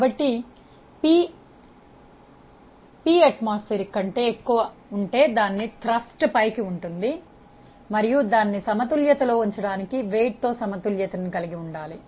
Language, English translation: Telugu, So, if p is greater than p atmospheric pressure there will be a up thrust on it and that should be balanced by the weight to keep it in equilibrium